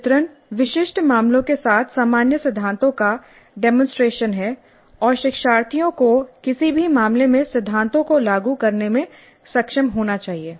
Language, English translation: Hindi, Portrail is demonstration of the general principles with specific cases and learners must be able to apply the principles to any given case